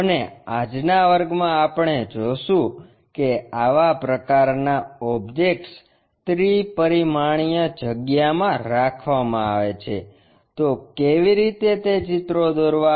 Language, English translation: Gujarati, And, in today's class we will see if such kind of objects are oriented in three dimensional space how to draw those pictures